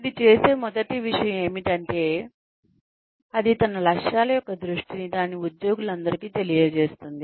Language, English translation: Telugu, The first thing it does is that, it communicates a vision of its objectives, to all its employees